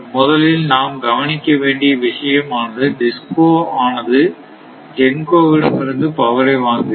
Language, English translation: Tamil, So, first thing is that DISCOs this thing buying power from this GENCOs